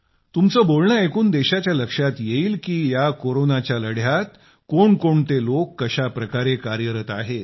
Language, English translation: Marathi, And even the country will get to know how people are working in this fight against Corona